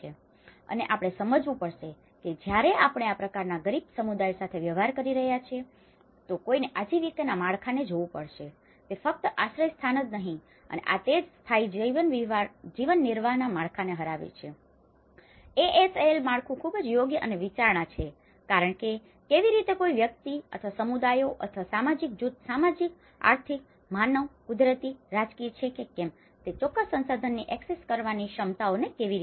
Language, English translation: Gujarati, And we have to understand when we are dealing with this kind of poor communities, one has to look at the livelihoods framework, it is not just only a shelter and this is where, the defeats ASAL framework to sustainable livelihood framework is very apt and considering because how an individual or a communities or a social group, how their abilities to access certain resources whether it is a social, economic, human, natural, political